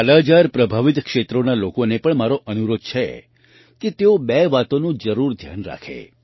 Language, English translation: Gujarati, I also urge the people of 'Kala Azar' affected areas to keep two things in mind